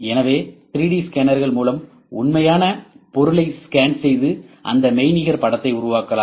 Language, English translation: Tamil, So, 3D scanners can scans the real object and produce a virtual image of that ok